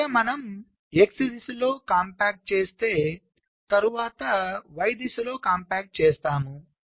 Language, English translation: Telugu, so let say we are performing x direction compaction while making small moves in the y direction